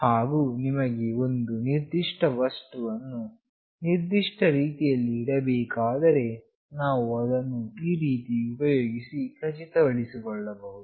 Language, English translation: Kannada, And if we want a particular device to be placed in a particular way, we can ensure that using this